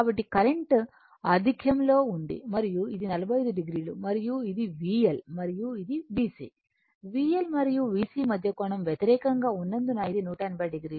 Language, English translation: Telugu, So, current is leading and this is 45 degree and this is V L and this is V C angle between this your V L and V C you know just opposite opposite so it is 180 degree who make you ready